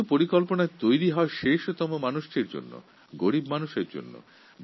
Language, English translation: Bengali, After all, these schemes are meant for common man, the poor people